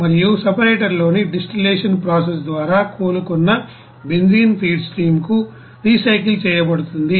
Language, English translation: Telugu, And the recovered benzene by the distillation process in the separator is recycle to the feed stream